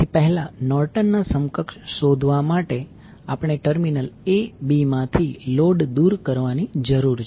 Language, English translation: Gujarati, So, to find out the Norton’s equivalent first we need to remove the load from terminal a b